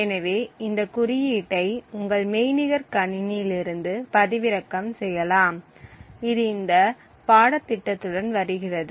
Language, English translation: Tamil, So, this code can be downloaded preferably you can download it from your virtual machine which comes along with this course and we could then run these codes